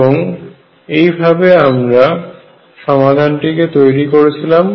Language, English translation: Bengali, And that is how we build the solution